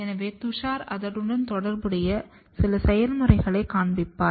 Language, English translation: Tamil, So, Tushar will show some of the process associated with it